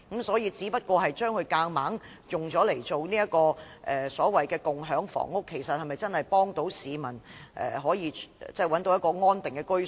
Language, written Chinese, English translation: Cantonese, 所以，若強行將單位變為所謂的共享房屋，其實是否真的能協助市民找到安定的居所？, Hence if the Government presses ahead with the conversion of units into the so - called community housing can it really help members of the public find a secure dwelling place?